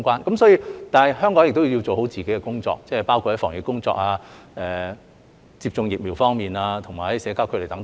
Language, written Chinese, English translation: Cantonese, 然而，香港也要做好自己的工作，包括防疫工作、接種疫苗和社交距離等。, Nevertheless Hong Kong must also do its fair share of work including epidemic prevention efforts vaccination and social distancing